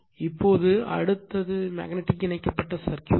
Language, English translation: Tamil, Now, next is magnetically coupled circuit